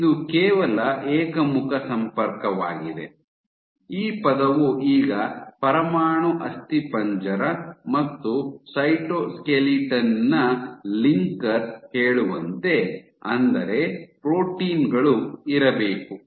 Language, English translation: Kannada, So, this is only one way connection, now as this term says linker of nuclear skeleton and cytoskeleton; that means, that there must be proteins